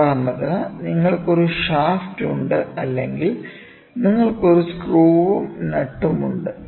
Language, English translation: Malayalam, For example, you have a shaft or you have a screw, then you have some a nut, this nut is rotated